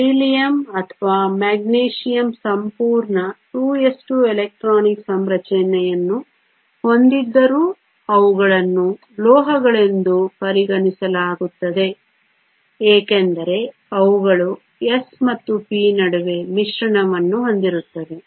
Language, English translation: Kannada, That is the reason where Beryllium or Magnesium even though they have a full 2 s 2 electronic configuration are still considered metals, because they have mixing between the s and the p